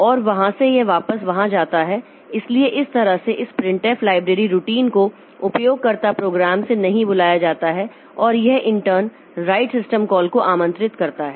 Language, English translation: Hindi, So, this way this printf library routine is invoked from the user program and that in turn invokes the right system call